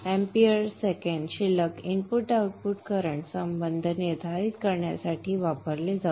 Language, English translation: Marathi, The AM second balance is used to determine the input of current relationship